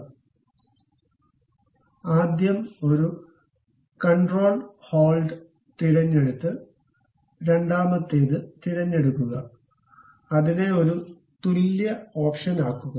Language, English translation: Malayalam, So, select that first one control hold and pick the second one; then make it equal option